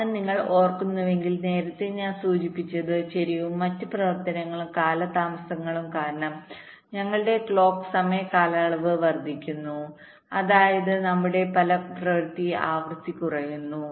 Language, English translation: Malayalam, because, if you recall earlier i mentioned that because of the skew and the other such delays, our clock time period increases, which means our effective frequency decreases